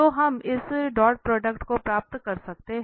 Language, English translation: Hindi, We know the n, so we can get this dot product